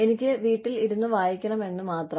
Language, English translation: Malayalam, I just want to stay at home and read